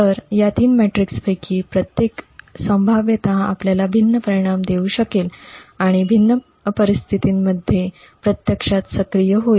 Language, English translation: Marathi, So, each of these three metrics could potentially give you a different result and would become actually active in different scenarios